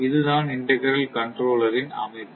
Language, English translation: Tamil, So, this is structure of the integral controller